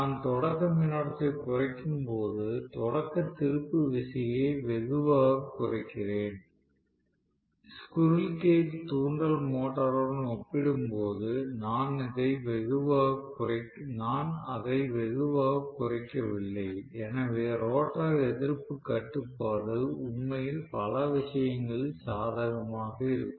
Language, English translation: Tamil, So, when I am bringing down the starting current am I reducing the starting torque also drastically, if I look at it that way I would not be really reducing it drastically as compared to squirrel cage induction motor right, so rotor resistance control actually will be advantageous in several ways